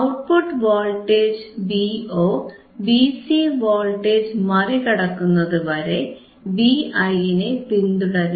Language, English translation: Malayalam, hHence the output voltage v Vo follows V i until it is exceeds c V c voltage